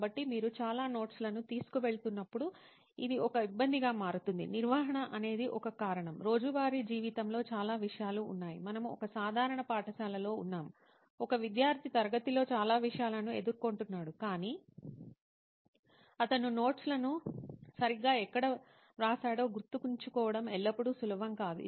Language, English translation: Telugu, So it itself becomes a hassle when you are carrying a lot of notes, the reason being one thing is managing, there are so many topics in a daily life we are in a typical school a student is faced with so many topics in the class but it is not always easy to remember where he has exactly written the notes